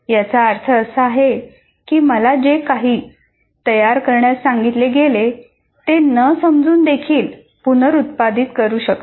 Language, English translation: Marathi, That means I can reproduce whatever I was asked to produce without even understanding it